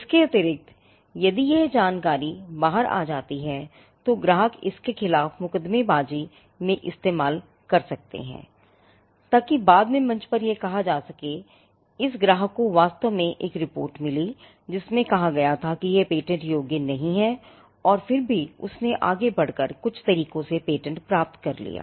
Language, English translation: Hindi, Additionally this information if it pops out could be used in litigation against the client at a later stage to state that; this client actually got a report saying that it is not patentable and still went ahead and patented it and got the patent granted by some means